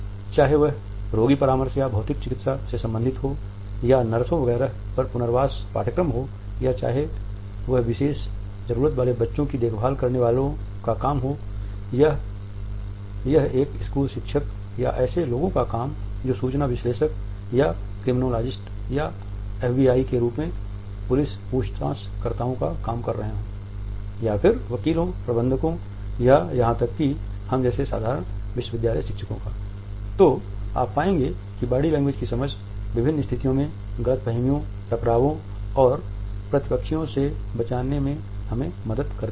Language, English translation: Hindi, Whether it is related with patient counseling or physiotherapies or rehabilitation courses on nurses etcetera or whether it is the job of a caregiver of children with special needs or it is the job of a school teacher or people who are working as information analyst or criminologists or FBI of police interrogators etcetera or practicing lawyers managers or even, us, simple university teachers